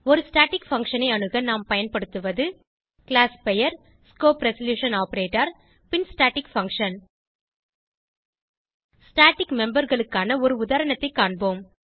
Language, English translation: Tamil, To access a static function we use, classname#160:: and the staticfunction() Let us see an example on static memebers